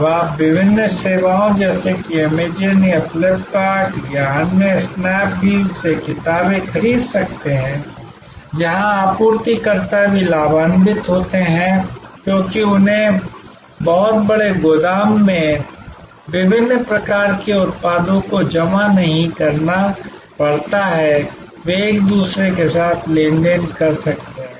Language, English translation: Hindi, You can buy now books from various services like Amazon or Flipkart or other Snap Deal, where the suppliers also benefits because, they do not have to accumulate a variety of products in a very large warehouse, they can transact with each other